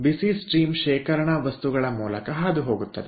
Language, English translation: Kannada, again hot stream will pass through the storage material